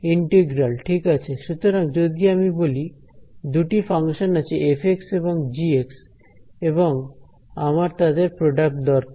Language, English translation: Bengali, Integral right so if I say two functions say f of x and g of x I want their product right